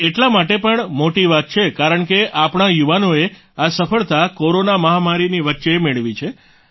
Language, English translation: Gujarati, This is also a big thing because our youth have achieved this success in the midst of the corona pandemic